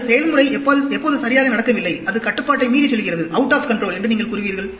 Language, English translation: Tamil, Or, when do you say the process is not going well, it is going out of control